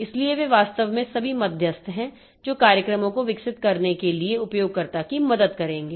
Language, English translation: Hindi, So, they are actually all intermediaries that who will be helping the user to develop the programs